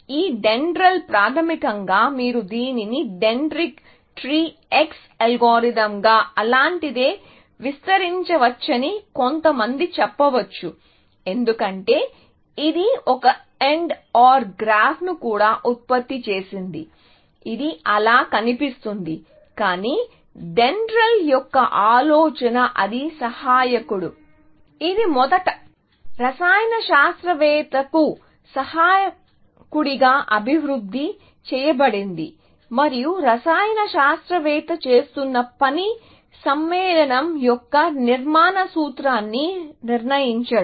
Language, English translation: Telugu, This DENDRAL, basically, also can be, some people say you can extend it to a dentritec tree X algorithm or something like that, because it generated also, an AND OR graph, which look like that, but the idea of DENDRAL was that it was the assistant; it was originally developed or programmed it as an assistant to a chemist, and the task that the chemist was doing was to determining the structural formula of an compound, essentially